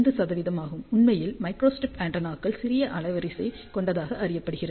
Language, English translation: Tamil, 5 percent, in fact, microstrip antennas are known to have smaller bandwidth